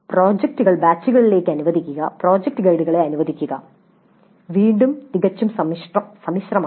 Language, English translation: Malayalam, Then allocating projects to batches, allocating project guides, again this is quite involved